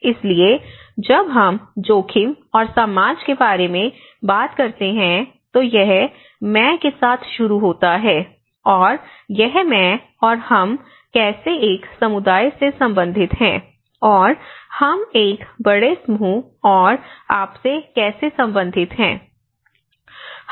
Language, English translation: Hindi, So, when we talk about the risk, when we talk about the society, it starts with I, and it is I and how we relate to the we as a community and how we relate to our with a larger group and how we are relating to your you know